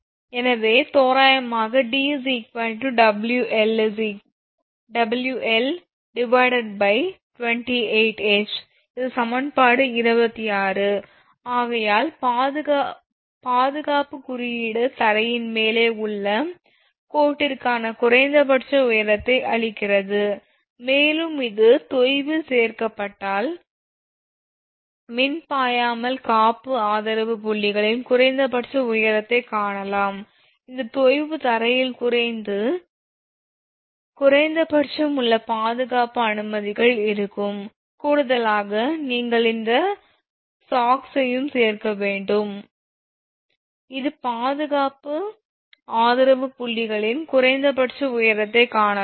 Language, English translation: Tamil, So, approximately d is equal to W L square upon 8 H, and this is equation 26 therefore, the safety code gives the minimum clearance your height for the line above ground and if this is added to the sag the minimum height of the insulation support points can be found, actually this sag will be there from the ground the minimum your safety clearances will be there in addition to that you have to add this sag also right such that minimum height of the insulation support points can be found